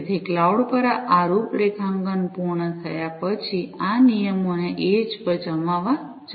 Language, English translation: Gujarati, So, after this configuration is done at the cloud, it is required to deploy these rules at the edge